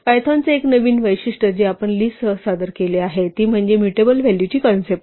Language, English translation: Marathi, One new feature of python, which we introduced with list, is a concept of a mutable value